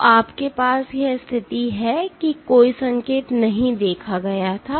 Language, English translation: Hindi, So, you have this situation no signal was observed